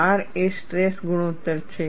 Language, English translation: Gujarati, R is a stress ratio